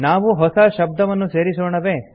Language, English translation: Kannada, Shall we enter a new word